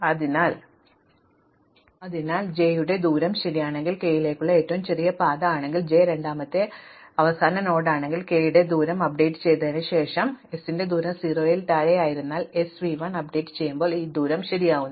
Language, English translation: Malayalam, So, if distance of j is correct and j is a second last node of the shortest path to k, distance of k is correct after the update, so because distance of s was 0 and it was correct, when we do update s to v 1 this distance becomes correct